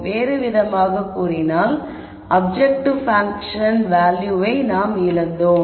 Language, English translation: Tamil, So, in other words we have given up on the value of the objective function